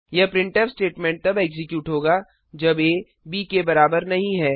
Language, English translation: Hindi, This printf statment will execute when a is not equal to b